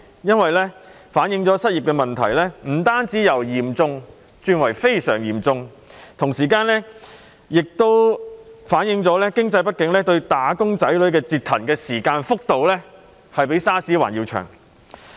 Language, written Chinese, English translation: Cantonese, 這反映失業問題不僅由嚴重轉為非常嚴重，同時反映經濟不景對"打工仔女"折騰的時間和幅度較 SARS 更長。, This does not merely reflect that the unemployment problem has not only turned from serious to extremely serious but also that the economic downturn has been affecting wage earners for a longer time and to a greater extent than SARS